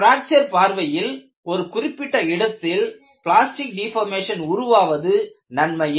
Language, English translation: Tamil, From fracture point of view, the local plastic deformation is beneficial